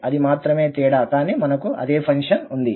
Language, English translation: Telugu, That is the only difference but we have the same function